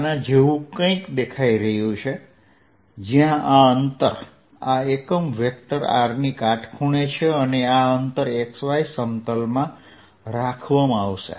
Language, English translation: Gujarati, this element is going to look something like this: where this distance this is unit vector r is perpendicular to r and this distance is going to be distance moved in the x y plane